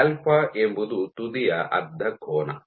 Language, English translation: Kannada, So, alpha is the tip half angle